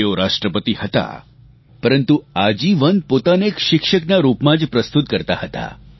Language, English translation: Gujarati, He was the President, but all through his life, he saw himself as a teacher